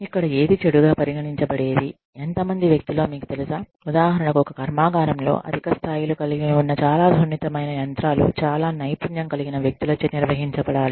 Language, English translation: Telugu, You know, how many people, if for example, in a factory, that has high levels of, a very, you know, very sensitive machinery, that has to be handled by, very skilled people